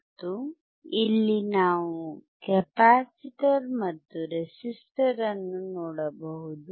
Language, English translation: Kannada, And here we can see the capacitor and the resistor